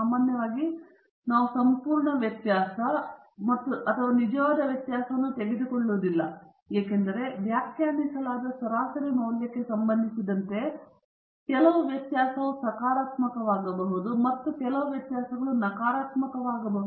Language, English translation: Kannada, Normally, we don’t take the absolute variability or the actual variability because some variability with the reference to the defined average value can be positive and some variability can be negative